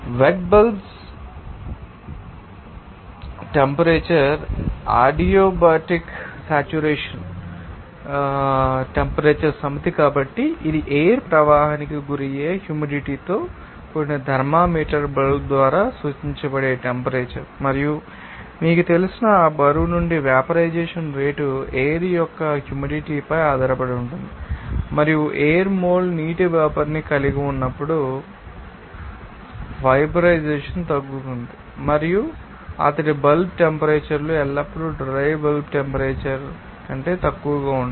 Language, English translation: Telugu, As wet bulb temperature is the temperature set of adiabatic saturation, this is the temperature that is indicated by moistened thermometer bulb exposed to the air flow and the rate of evaporation from that weight you know on about depends on the humidity of the air and that the evaporation is reduced when the air contains mole water vapor and the wet bulb temperatures are always lower than the dry bulb temperature